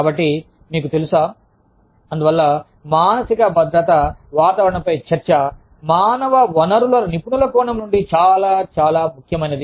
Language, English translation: Telugu, So, you know, so, that is why, a discussion on psychological safety climate, is very, very, important, from the perspective of the, human resources professionals